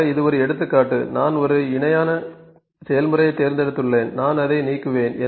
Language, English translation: Tamil, So, this was just an example of I have just picked a parallel process I will just delete it